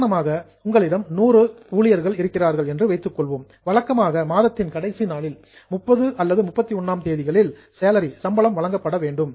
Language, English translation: Tamil, So, for example, if you have got 100 employees, normally the salary should be paid on the last day of the month, say on 30th or 31st